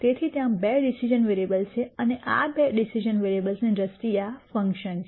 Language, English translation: Gujarati, So, there are two decision variables and this is a function in terms of these two decision variables